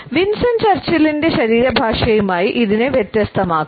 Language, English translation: Malayalam, It can be contrasted with a body language of Winston Churchill